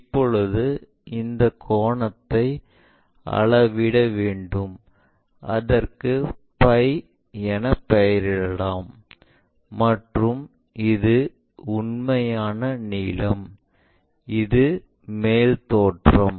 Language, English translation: Tamil, Now, what we have to do is this angle we will measure, let us call phi, and this is true length, and this one is top view